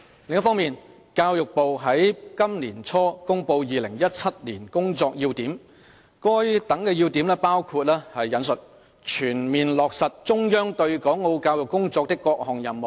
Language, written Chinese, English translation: Cantonese, 另一方面，教育部在本年初公布《2017年工作要點》，該等要點包括"全面落實中央對港澳教育工作的各項任務"。, On the other hand the Ministry of Education published early this year the Key Points of Work for 2017 which included implementing on a full scale the various tasks assigned by the Central Government in respect of the work on the education in Hong Kong and Macao